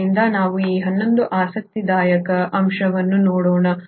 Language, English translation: Kannada, So let us look at this other interesting aspect